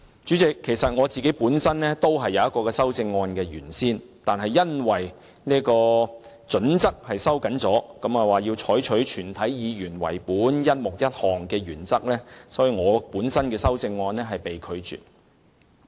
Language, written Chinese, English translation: Cantonese, 主席，我原先亦曾提出一項類似的修正案，但因主席收緊準則，須以全體議員為本，故在"一目一項"的原則下，我本人的修正案被拒。, Initially Chairman I had also proposed a similar amendment but due to the Presidents decision to tighten the criteria and adhere to the one amendment to one subhead principle for the sake of all Members in general my amendment was not admitted